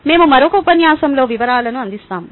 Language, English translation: Telugu, we will cover the details in another lecture